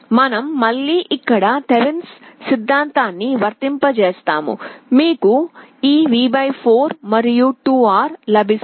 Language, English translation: Telugu, We apply Thevenin’s theorem here again, you get this V / 4 and 2R